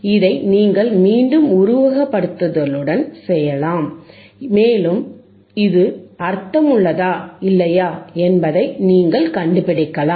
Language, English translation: Tamil, This you can do again with simulation, and you can find it whetherif it makes sense or not, right